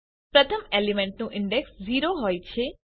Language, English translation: Gujarati, The index of the first element is 0